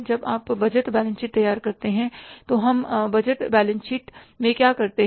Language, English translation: Hindi, When you prepare the budgeted balance sheet, what we do in the budgeted balance sheet